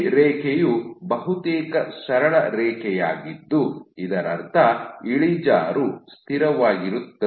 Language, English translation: Kannada, So, this line was almost a straight line which meant that the slope is constant